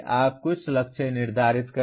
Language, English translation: Hindi, You set some target